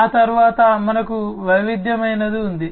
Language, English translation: Telugu, Thereafter, we have the diversified one